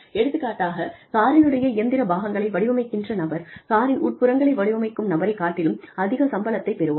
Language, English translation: Tamil, For example, if the person, who designs different parts of the engine, gets paid more, than the person, who designs the interiors of the car